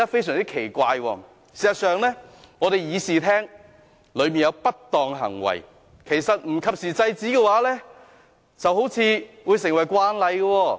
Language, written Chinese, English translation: Cantonese, 事實上，會議廳內出現不當的行為，如果不及時制止，似乎會變成慣例。, In fact it seems that improper behaviour in the Chamber will become a common practice if it is not stopped promptly . Making additions to the oath in the past is an example